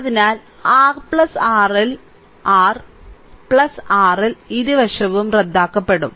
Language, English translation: Malayalam, So, R plus R L R plus R L will be cancelled both sides